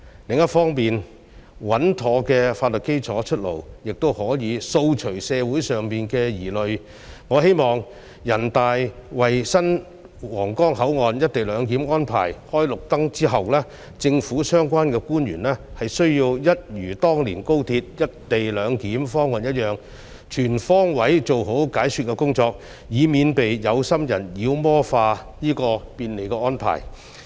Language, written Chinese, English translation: Cantonese, 另一方面，穩妥的法律基礎出爐，也可以掃除社會上的疑慮，我希望人大為新皇崗口岸"一地兩檢"安排"開綠燈"後，政府的相關官員會一如當年推動高鐵"一地兩檢"方案一樣，全方位做好解說工作，以免被有心人妖魔化這便利的安排。, Furthermore the availability of a sound legal basis will also allay concerns in society . I hope that after the National Peoples Congress gives the green light to the co - location arrangement at the new Huanggang Port the relevant government officials will make comprehensive efforts to do the explanatory work just as what they did back in the days when they took forward the proposal for the co - location arrangement at XRL so as to prevent people with ulterior motives from demonizing this convenient arrangement which will definitely benefit Hong Kongs future development